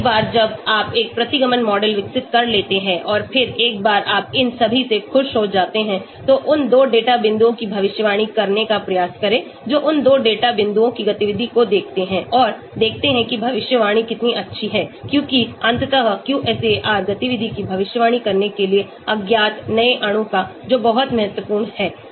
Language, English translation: Hindi, Once you develop a regression model and then once you are happy with all these, try to predict those two data points which are kept aside, the activity of those two data points and see how good the prediction is because ultimately QSAR is meant for predicting activity of unknown new molecule that is very, very important